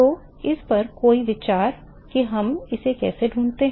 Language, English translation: Hindi, So, any thoughts on how do we find this